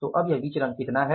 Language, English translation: Hindi, So, how much is this variance now